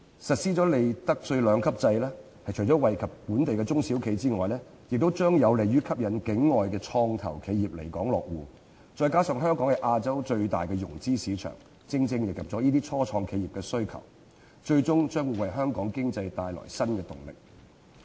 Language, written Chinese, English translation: Cantonese, 實施利得稅兩級制除了惠及本地中小企外，亦將有利於吸引境外創投企業來港落戶，再加上香港是亞洲最大的融資市場，正正迎合了初創企業的需求，最終將會為香港經濟帶來新動力。, Apart from benefiting local SMEs the implementation of a two - tier profits tax system will also be conducive to attracting non - local venture capital enterprises to establish their bases in Hong Kong . This coupled with the fact that Hong Kong is the biggest financial market in Asia exactly caters to the demand of start - ups thus ultimately bringing new momentum to the Hong Kong economy